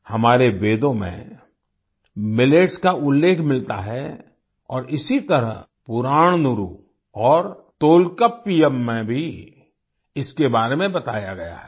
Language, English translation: Hindi, Millets are mentioned in our Vedas, and similarly, they are also mentioned in Purananuru and Tolkappiyam